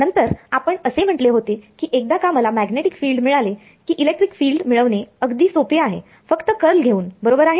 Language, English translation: Marathi, Then we said that the electric field is simple to obtain once I get the magnetic field just by taking the curl right